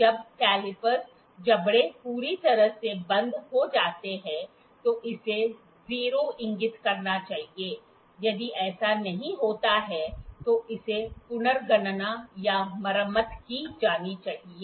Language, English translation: Hindi, When the calipers jaws are fully closed, it should indicate 0, if it does not it must be recalibrated or repaired